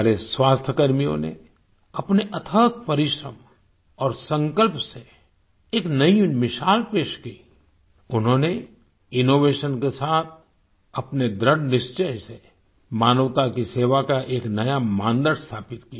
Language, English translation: Hindi, Our health workers, through their tireless efforts and resolve, set a new example…they established a new benchmark in service to humanity through innovation and sheer determination